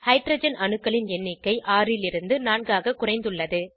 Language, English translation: Tamil, Number of Hydrogen atoms reduced from 6 to 4